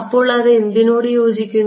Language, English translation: Malayalam, So, that corresponds to what